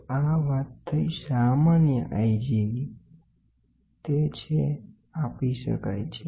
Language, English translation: Gujarati, So, this is the typical i G which is can be measured